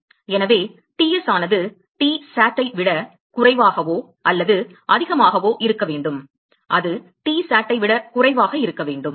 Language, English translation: Tamil, So, T s should be less or greater than Tsat it should be less than Tsat